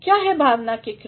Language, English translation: Hindi, What are the verbs of emotion